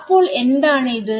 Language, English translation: Malayalam, So, what is it saying